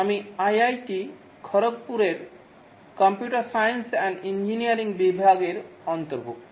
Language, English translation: Bengali, I belong to the computer science and engineering department of IIT Khodopur